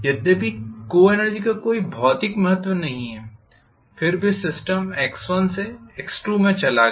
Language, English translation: Hindi, Although co energy does not have any physical significance, then the system moved from x1 to x2